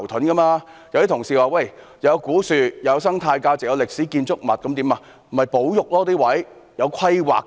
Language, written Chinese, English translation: Cantonese, 有些同事說，那裏有古樹，有生態價值及歷史建築物，故此不應收回。, Some Honourable colleagues say there are old trees . The place has an ecological value and there are historical buildings . For this reason it should not be resumed